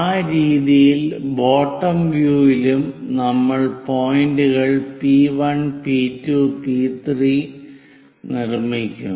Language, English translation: Malayalam, In that way, we will in that way we will construct points P1, P2, P3 in the bottom view also